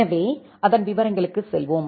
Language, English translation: Tamil, So, let us go to the details of that